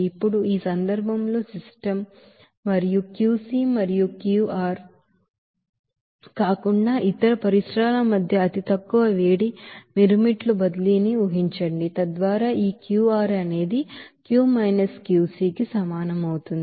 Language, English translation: Telugu, Now in this case assuming negligible heat transfer between system and the surroundings other than Qc and Qr, so we can have this Qr will be is equal to Q – Qc